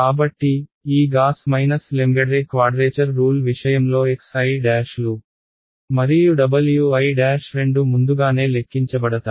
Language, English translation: Telugu, So, in the case of these Gauss Lengedre quadrature rules both the x i's and the w i’s these are pre computed